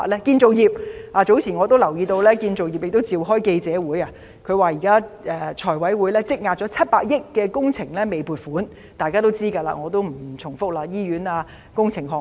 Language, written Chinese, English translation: Cantonese, 建造業方面，我早前留意到業界召開了記者會，說現時財委會積壓了逾700億元的工程撥款申請未審批——這是大家都知道的事，我不重複了——例如醫院重建等工程項目。, Concerning the construction sector earlier I noticed that a press conference had been held by the sector during which it mentioned that the current backlog of funding applications in FC involved over 70 billion worth of works projects―I will not repeat this well - known fact―including such projects as hospital redevelopments